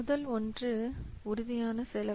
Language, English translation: Tamil, So, first one is tangible cost